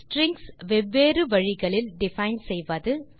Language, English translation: Tamil, Define strings in different ways